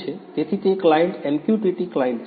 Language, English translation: Gujarati, that client is MQTT client